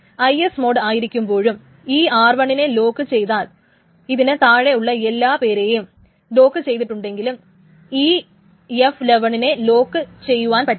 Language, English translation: Malayalam, So when R1 is locked even in the IS mode and all of these things, everything that is locked below, we cannot lock this F11 because F11 doesn't exist at all